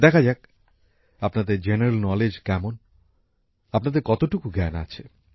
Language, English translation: Bengali, Let's see what your general knowledge says… how much information you have